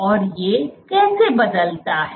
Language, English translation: Hindi, And how does it change